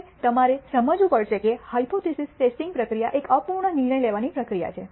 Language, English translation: Gujarati, Now, you have to understand that the hypothesis testing procedure is an imperfect decision making process